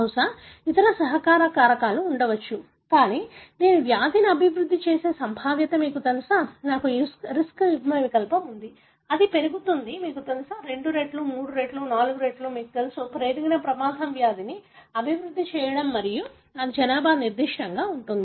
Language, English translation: Telugu, Probably there are other contributory factors, but the, the probability that I would develop the disease, you know, if I have the risk allele, it goes up, you know, two fold, three fold, four fold, you know, increased risk of developing the disease and it could be population specific